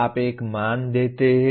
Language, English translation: Hindi, You attach a value